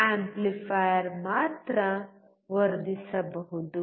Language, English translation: Kannada, An amplifier can only amplify